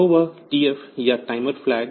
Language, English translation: Hindi, So, that TF or the timer flag